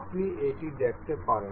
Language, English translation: Bengali, You can see